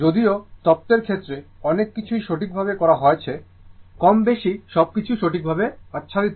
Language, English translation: Bengali, Although many things have been done right as far as theory is concerned more or less everything is covered right